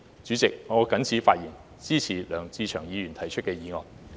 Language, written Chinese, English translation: Cantonese, 主席，我謹此陳辭，支持梁志祥議員提出的議案。, President with these remarks I support the motion moved by Mr LEUNG Che - cheung